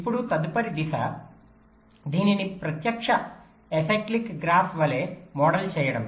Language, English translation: Telugu, now the next step is to model this as a direct acyclic graph